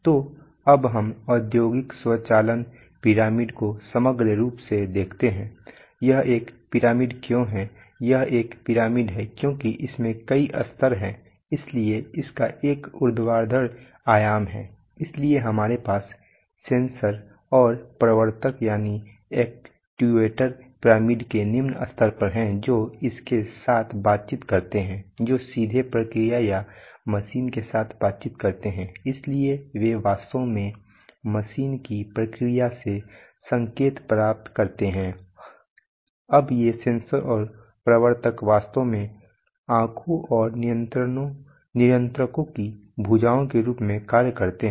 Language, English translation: Hindi, So now let us look at the industrial automation pyramid as a whole, why is it a pyramid, it is a pyramid because there are several levels so it has a vertical dimension, so we have the lowest levels of sensors and actuators which interact with the, which directly interact with the process or or the machine, so they actually get the signals from the process of the machine, now these sensors and actuators are actually act as the eyes and the arms of the controllers